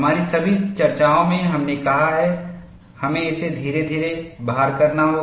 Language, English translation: Hindi, In all our discussions, we have said, we have to load it gradually